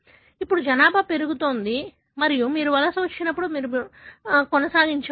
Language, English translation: Telugu, Now, the population grows and you carry on when you migrate